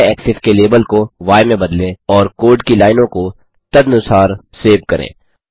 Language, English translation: Hindi, Change the label on y axis to y and save the lines of code accordingly